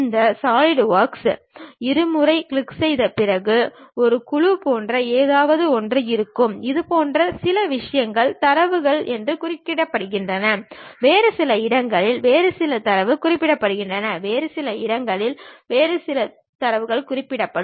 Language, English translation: Tamil, After double clicking these Solidworks we will have something like a panel, where some of the things mentions like these are the data, there will be some other places some other data mentions, some other locations some other data will be mentioned